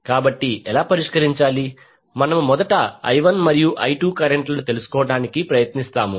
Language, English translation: Telugu, So, how to solve, we will first try to find out the currents I1 and I2